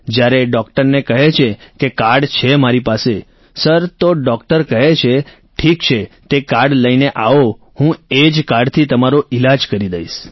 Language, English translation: Gujarati, Sir, the doctor then says, okay bring that card and I will treat you with the same card